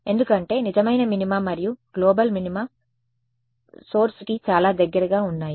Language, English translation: Telugu, Because the true minima and the global minima are very close to the origin